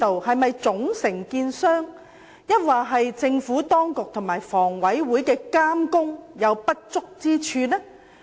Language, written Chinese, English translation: Cantonese, 是總承建商出現問題，還是政府當局和房委會監管不足？, Is the problem attributed to the fault of the main contractor or the lack of supervision on the part of the Government and HA?